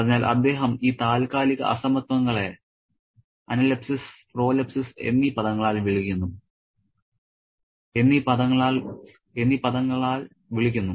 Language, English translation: Malayalam, So, he calls these temporal disparities by these terms analepsis and pro lipsis